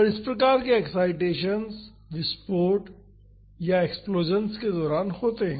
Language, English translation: Hindi, And, these type of excitations happened during blast or explosions